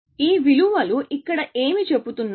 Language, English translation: Telugu, What are these values saying here